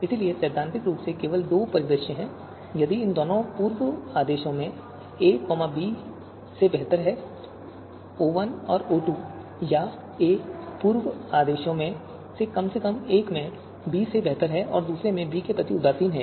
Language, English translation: Hindi, So you know if theoretically there are just two scenarios, if a is better than b in both the pre orders, O1 and O2 or a is better than b in at least one of the pre orders and indifferent with respect to b in the other pre order